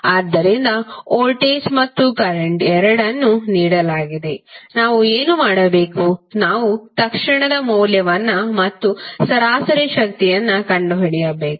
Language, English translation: Kannada, So voltage v and current both are given what we have to do we have to find out the value of instantaneous as well as average power